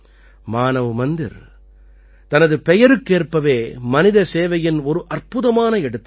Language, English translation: Tamil, Manav Mandir is a wonderful example of human service true to its name